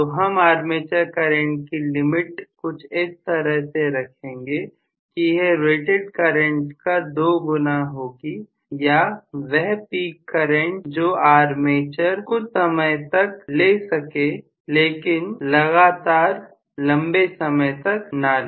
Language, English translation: Hindi, So I may put the limit on the armature current as twice the rated current or something like that the peak current that can be carried by the armature not on a continuous basis, for a short while